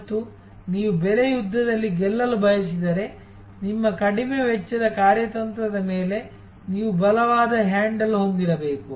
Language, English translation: Kannada, And if you want to win in the price war, you have to have a very strong handle on your low costs strategy